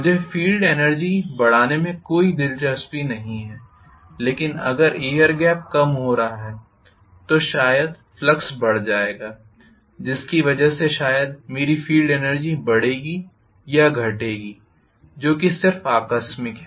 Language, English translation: Hindi, I am not interested in increasing the field energy but if the air gap is decreasing, maybe the flux will increase due to which maybe my field energy will increase or decrease that is just incidental